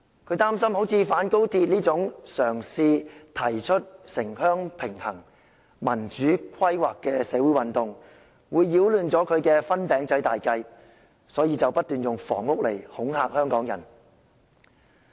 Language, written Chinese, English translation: Cantonese, 他擔心，反高鐵運動這種嘗試提出城鄉平衡、民主規劃的社會運動，會擾亂他的"分餅仔"大計，所以不斷用房屋問題來恐嚇香港人。, He was worried that the anti - Express Rail Link campaign a social movement which attempted to propose a balance between rural and urban areas and democratic planning may disrupt his ambitious plan of sharing the pie so he continued to threaten Hong Kong people with the housing problem